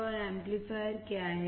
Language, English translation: Hindi, And what is amplifier